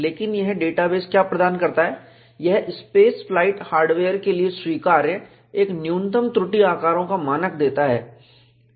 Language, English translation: Hindi, But what this database provides is, it gives a standard of minimum flaw sizes, acceptable for space flight hardware